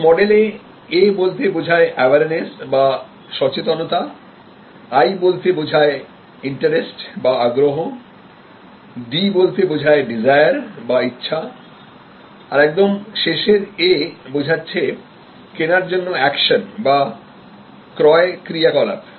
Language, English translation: Bengali, So, there A stands for Awareness, I stands for Interest, D stands for Desire and finally, A stands for Action or the purchase action